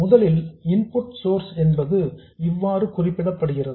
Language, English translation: Tamil, First of all, the input source is represented like this